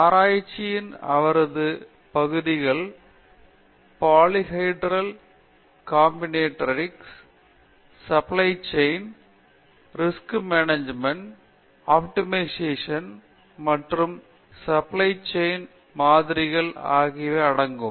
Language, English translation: Tamil, Her areas of research, areas of expertise include polyhedral combinatorics, supply chain, risk management, optimization and quantitative models in supply chain management